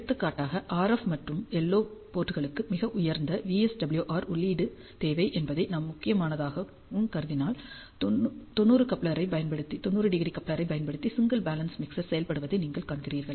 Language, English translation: Tamil, For example, if I if I require a very high input VSWR for the RF and LO ports is my critical concern, then if we go back, you see that a single balance mixer implemented using 90 degree coupler gives us a very good input VSWR